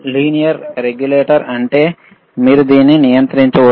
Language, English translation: Telugu, If you see the lLinear regulated means you can regulate it